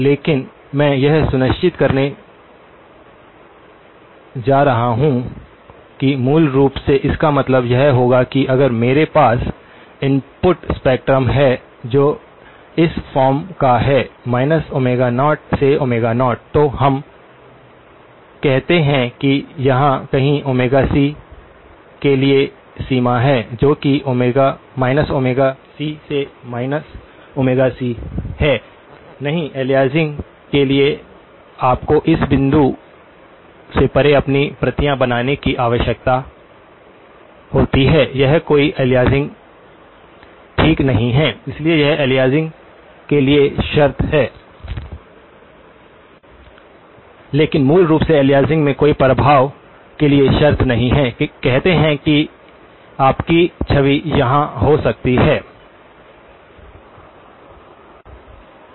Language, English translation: Hindi, But I am going to make sure that so basically, this would mean that if I had a input spectrum which is of this form, Omega naught; minus Omega naught to Omega naught, let us say somewhere here is the boundary for Omega c that is minus Omega c to Omega c, no aliasing requires you to create your copies beyond this point, this is no aliasing okay, so this is the condition for no aliasing but the condition for no effect of aliasing basically, says your image can be here, right